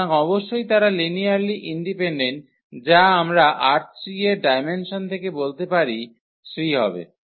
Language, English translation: Bengali, So, definitely they are linearly dependent which we can conclude from the dimension of R 3 which is 3